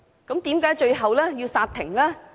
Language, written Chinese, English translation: Cantonese, 為何最後要煞停？, Why was a ban imposed all of a sudden?